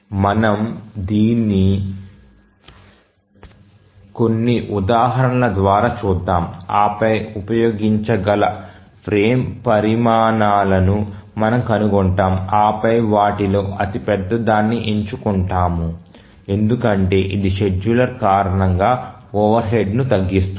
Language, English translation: Telugu, We will see through some examples and then we find the frame sizes which can be used and then we choose the largest of those because that will minimize the overhead due to the scheduler